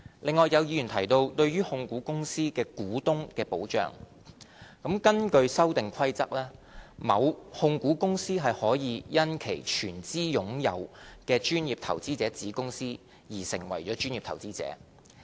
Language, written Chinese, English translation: Cantonese, 另外，有議員提到對於控股公司的股東的保障，根據《修訂規則》，某控股公司可以因其全資擁有的專業投資者子公司而成為專業投資者。, Some Members think there is a need to protect shareholders of holding companies . Under the Amendment Rules a holding company will become a PI as a result of the PI status of its wholly - owned subsidiary